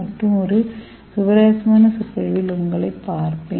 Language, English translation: Tamil, I will see you in another interesting lecture